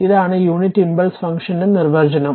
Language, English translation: Malayalam, This is the definition of unit impulse function right